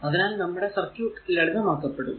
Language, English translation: Malayalam, And for such that our circuit diagram will be simplified